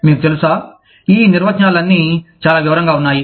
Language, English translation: Telugu, You know, all these definitions, encompass a whole lot of detail